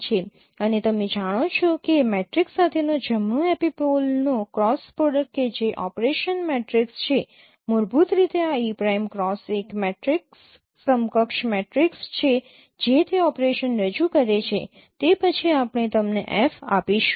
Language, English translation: Gujarati, And as you know that the cross product of right epipole with the matrix, that's an operation, matrix operation, basically this E prime cross is a matrix equivalent matrix which is representing that operation